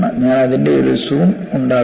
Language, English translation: Malayalam, I will make a zoom of it